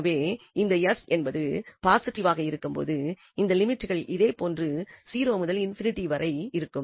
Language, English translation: Tamil, So, when s is positive the limits will remain as it is 0 to infinity